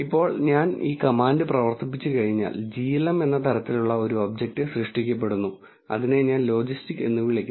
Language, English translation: Malayalam, Now, once I run this command an object of the type glm is created and I call it logis t